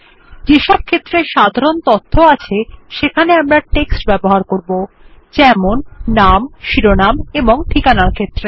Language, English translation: Bengali, Use text, for fields that have general information, for example, name, title, address